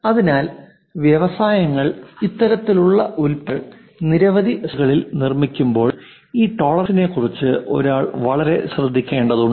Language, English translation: Malayalam, So, when industries make this kind of products in multiplication many parts one has to be very careful with this tolerances